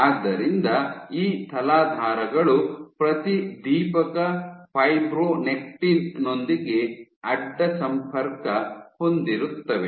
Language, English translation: Kannada, So, these substrates were cross linked with fluorescent fibronectin